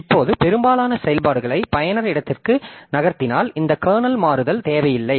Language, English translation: Tamil, Now, if most of the functions are moved to the user space, then this kernel switching will not be required